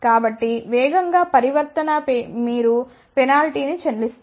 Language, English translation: Telugu, So, of course, the faster transition you pay penalty